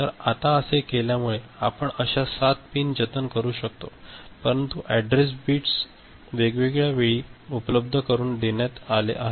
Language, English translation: Marathi, So, what is happening now because of this that we are able to save 7 such pins, but the address bits are made available at different point of time